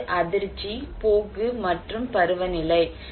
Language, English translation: Tamil, One is the shock, trend and seasonality